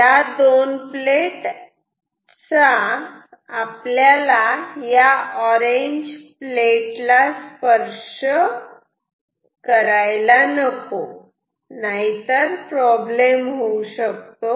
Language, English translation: Marathi, These two plates should not touch these orange plates of course, then there will be there can be some sort